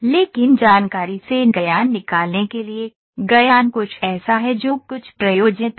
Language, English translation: Hindi, But to extract the knowledge from the information, knowledge is something that is that has some applicability